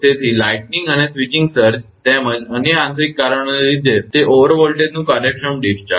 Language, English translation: Gujarati, So, that also efficient discharge of over voltages due to the lightning and switching surges as well as other internal causes